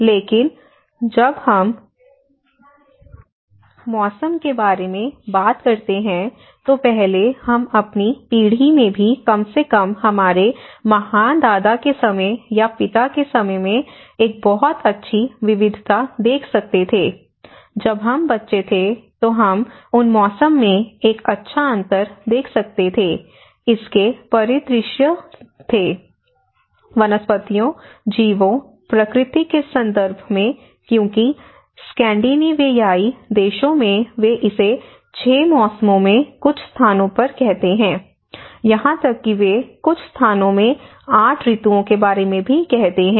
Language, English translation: Hindi, But now, when we talk about seasons, earlier we could see a very good diversity at least our great grandfather’s time or father’s time even in our generation, when we were kids we could able to see a good difference in over the seasons you know in terms of its landscape, in terms of its flora, in terms of its fauna, in terms of the nature because in Scandinavian countries they call it a 6 seasons in some places they even call about 8 seasons in some places because of the winter conditions of the transitional time